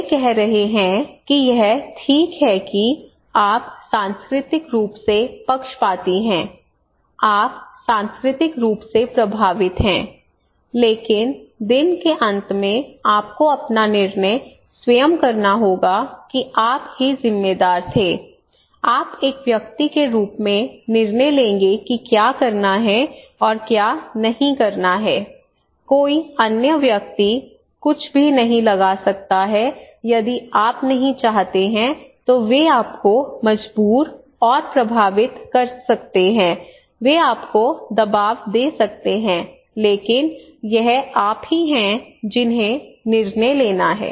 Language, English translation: Hindi, So they are saying that it is okay that you are culturally biased you are culturally influenced, but in the end of the day you have to make your own decision that is you were the responsible, you would make the decision as an individual what to do and what not to do okay no other person can impose anything if you do not want they can force you they can influence you they can pressure you, but it is you who have to make the decision okay